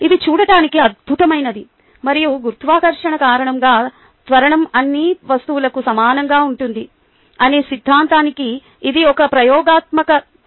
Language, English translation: Telugu, and that is, ah, an experimental demonstration of the theory that the acceleration due to gravity is the same for all objects